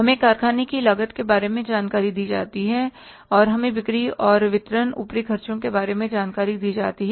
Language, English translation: Hindi, We are given the information about the factory cost and we are given the information about the, say the selling and distribution overheads